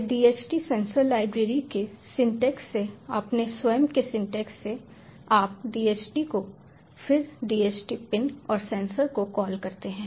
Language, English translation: Hindi, right then from its own syntax, from the syntax of the dht sensors library installed, ah, you just call dht, then dht pin and sensor